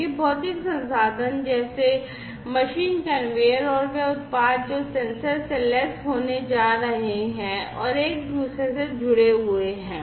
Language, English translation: Hindi, These physical resources like machines conveyors and the products they are going to be sensor equipped and are connected to one another